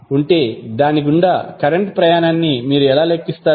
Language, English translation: Telugu, How you will calculate the current passing through it